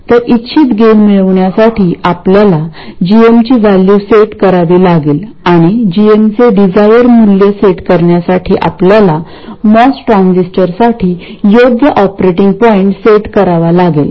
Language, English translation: Marathi, So, to have a desired gain we have to set the value of GM and to set the desired value of GM, we have to set the correct operating point for the MOS transistor